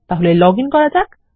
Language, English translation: Bengali, So let me login